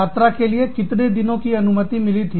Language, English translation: Hindi, How many days were permitted, for travel